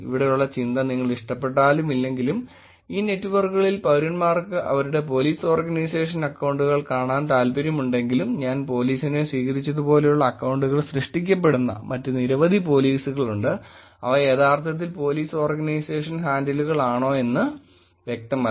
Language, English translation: Malayalam, The thought here is that whether you like it or not, whether as citizens want to see their accounts Police Organization accounts in these networks, the accounts are created like I have taken police there are many other polices; it's not clear whether these are actually the Police Organization handles